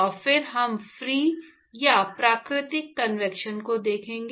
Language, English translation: Hindi, And then we will look at free or natural convection